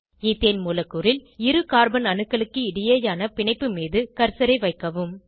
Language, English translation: Tamil, Place the cursor on the bond between two carbon atoms in the Ethane molecule